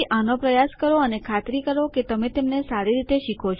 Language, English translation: Gujarati, So, practice these and make sure you learn them well